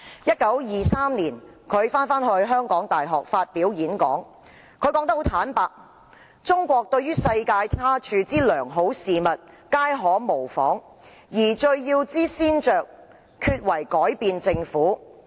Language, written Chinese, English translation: Cantonese, 1923年，他返回香港大學發表演講時坦言："中國對於世界他處之良好事物皆可模仿，而最要之先着，厥為改變政府。, In 1923 he said frankly when he revisited the University of Hong Kong and delivered a speech China can imitate whatever good things elsewhere in the world; and first and foremost we must change the government